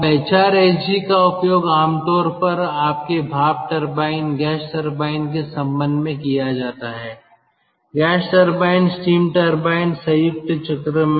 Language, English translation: Hindi, hrsg is very commonly used in connection with ah, your steam turbine, gas turbine, um ah, sorry, gas turbines, steam turbines, steam power plant, combined cycle now